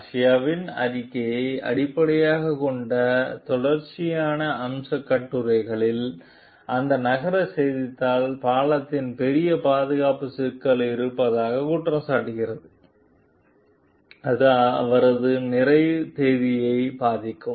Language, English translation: Tamil, In a series of feature articles based on Garcia s report, that city newspaper alleges that the bridge has major safety problems that will jeopardize his completion date